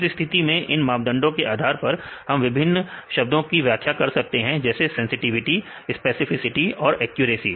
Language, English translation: Hindi, So, in this case based on these measures we can define a different terms called sensitivity, specificity and accuracy